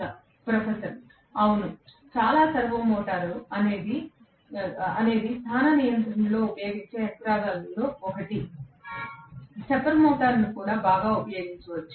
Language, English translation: Telugu, (17:36) Professor: Yes, very much, servo motor is one of the mechanisms which are used in position control; stepper motor can also be very well used